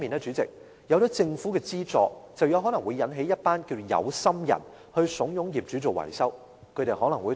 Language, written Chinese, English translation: Cantonese, 主席，另一方面，政府的資助也可能為一群"有心人"利用，遊說業主進行大型維修。, President meanwhile some people with secret motives may also make use of the Governments provision of subsidy to persuade property owners to carry out large - scale maintenance works